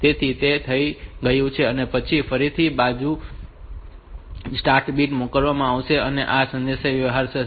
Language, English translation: Gujarati, So, that is done and then the again another start bit may be sent and this communication will take place